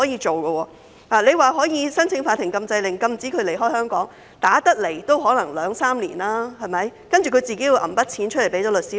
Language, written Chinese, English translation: Cantonese, 即使可以申請法庭禁制令，禁止支付一方離港，但訴訟期可能要兩三年，受款人還要先拿錢支付律師費。, Even if the payee can apply to the Court for a Prohibition Order to prohibit the payer from leaving Hong Kong the litigation proceedings may take two or three years and the payee needs to pay the solicitors fees first